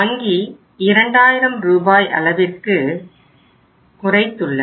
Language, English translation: Tamil, There is a restriction of 2000 Rs